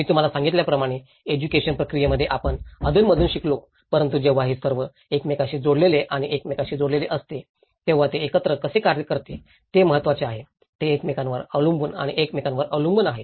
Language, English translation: Marathi, As I said to you, in the education process, we learn by part by part but it is very important that how a system works together when it is all connected and interconnected, they are dependent and interdependent with each other